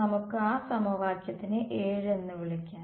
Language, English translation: Malayalam, So, what is equation 7 saying